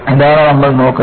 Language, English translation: Malayalam, This is the way we are looking at